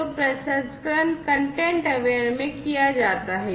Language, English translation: Hindi, So, the processing is done in a content aware